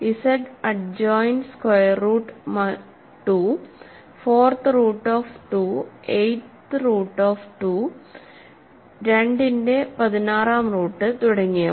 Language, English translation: Malayalam, Let us look at the ring given by Z adjoined square root 2, 4th root of 2, 8th root of 2, 16th root of 2 and so on ok